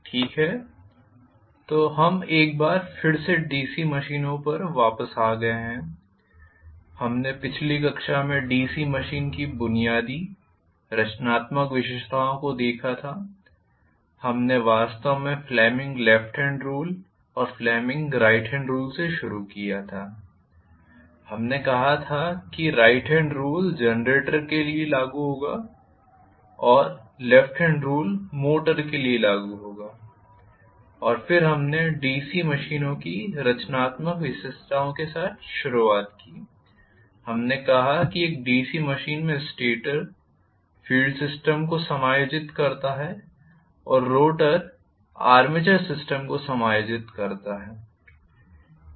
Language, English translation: Hindi, Okay, so we are back on DC machines once again, and we had looked at in the last class the basic constructional features of a DC machine, we started off in fact with Fleming’s left hand and right hand rule we said right hand rule will be applicable for generator, left hand rule will be applicable for motor, and then we started off with the constructional features of a DC machines, we said that the stator in a DC machine accommodates field system and the rotor accommodates the armature system this is not really true for all the machines, this is a unique feature of a DC machine